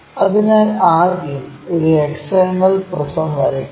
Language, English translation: Malayalam, So, first draw a hexagonal prism